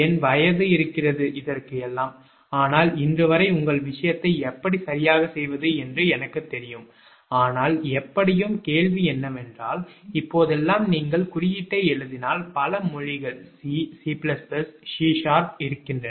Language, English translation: Tamil, now my age is there, but till date, ah, i know those ah, coding, ah your thing, how to make it right, ah, but anyway, ah question is that if you write the code, nowadays, so many languages are available, right, ah, c c plus plus, c sharp